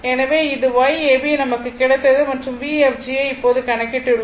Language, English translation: Tamil, So, it is your Y ab you got and V fg now we have we computed here V fg